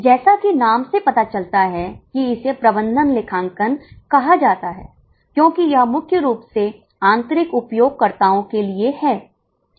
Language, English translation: Hindi, As the name suggests, it is called management accounting because it's mainly for internal users